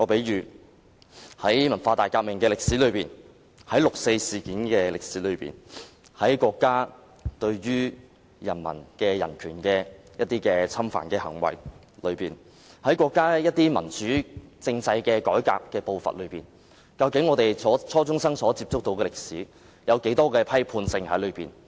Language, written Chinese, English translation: Cantonese, 以文化大革命、六四事件、國家侵犯人民人權的行為為例，在國家民主政制改革的步伐中，究竟初中生接觸到的歷史存有多少批判性？, Take the Cultural Revolution the 4 June incident and the countrys violation of the human rights of its people as examples how critical is the history learnt by junior secondary students in the context of the developments of our countrys democratic political reforms?